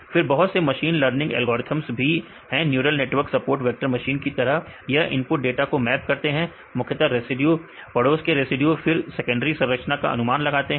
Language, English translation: Hindi, Then there are various machine learning algorithms right neural networks as the support vector machines right they map the input data mainly the residue neighboring residues right then to predict this secondary structures